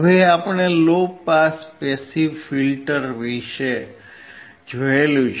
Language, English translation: Gujarati, Now, we have seen the low pass passive filter